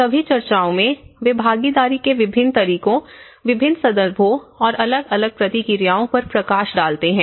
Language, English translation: Hindi, In all the discussions, they highlights on different modes of participation and different context and different responses to it